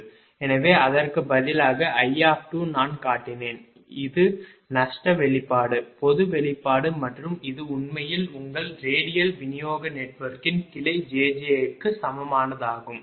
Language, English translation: Tamil, i showed and this is the loss expression, the general expression and this is actually your electrical equivalent of branch jj for any radial distribution get one